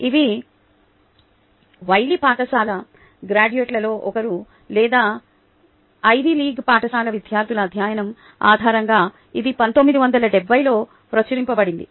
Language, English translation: Telugu, this was published in nineteen seventy, based on a study of ah, one of the ivy league school graduates or ivy league school students